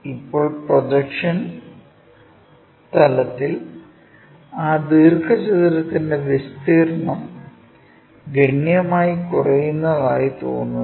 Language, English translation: Malayalam, Now, at projection level if you are seeing that it looks like the area of that rectangle is drastically reduced